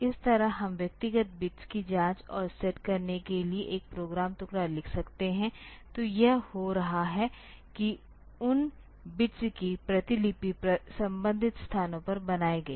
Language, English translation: Hindi, So, this way we can write a program fragment for checking and setting the individual bits like; so, getting it is doing the copy of those bits to the corresponding locations